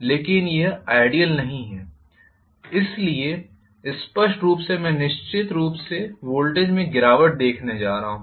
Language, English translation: Hindi, But it is not ideal, clearly so I am going to have definitely a fall in the voltage